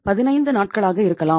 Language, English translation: Tamil, It can be 15 days